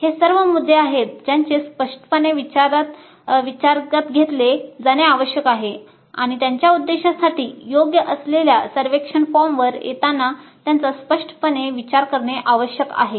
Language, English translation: Marathi, But these are all the issues that need to be taken into account explicitly and they need to be considered explicitly in arriving at a survey form which is best suited for their purposes